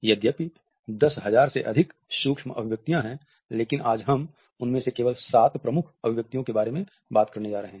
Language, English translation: Hindi, Field, there are over 10,000 micro expressions, but today we are only going to be talking about the seven major ones